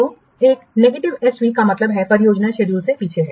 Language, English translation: Hindi, So a negative SB means the project is lagging behind the schedule